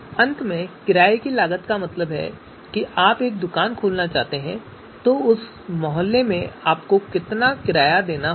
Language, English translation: Hindi, So renting costs, what is the renting cost if you want to open a you know shop, how much rent you will have to pay for that you know you know that locality